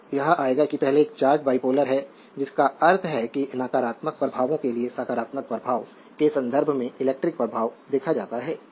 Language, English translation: Hindi, So, will come to that the first one is the charge is bipolar, meaning that electrical effects are observed in your are describe in terms of positive than negative charges right